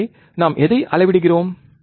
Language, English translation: Tamil, So, what are we are measuring